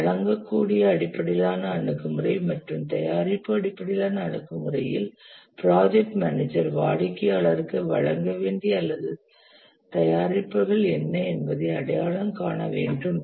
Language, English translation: Tamil, In the product based approach, a deliverable based approach, the project manager identifies what are the deliverables or the products to be delivered to the customer